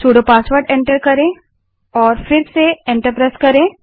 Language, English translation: Hindi, press Enter Enter the sudo password and press Enter again